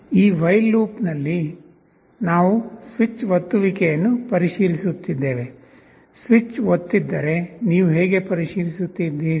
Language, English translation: Kannada, In this while loop, we are checking for a switch press; if a switch is pressed so how do you check